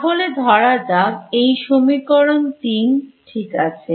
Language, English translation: Bengali, So, let us this just this equation let us call it equation 3 right